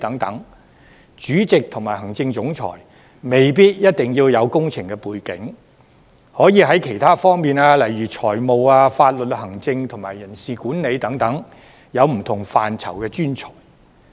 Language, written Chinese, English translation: Cantonese, 所以，主席和行政總裁未必一定要具備工程背景，可以是其他方面如財務、法律、行政及人事管理等不同範疇的專才。, Hence it may not be necessary for the Chairman and the Chief Executive Officer of MTRCL to have an engineering background but they can be professionals of other aspects like finance law administration and personnel management